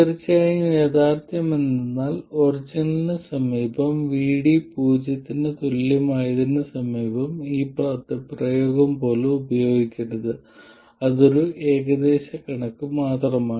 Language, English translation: Malayalam, Of course the reality is that near the origin near VD equal to 0 this expression should not even be used